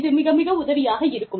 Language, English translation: Tamil, And, it is very helpful